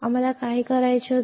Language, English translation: Marathi, So, what we had to do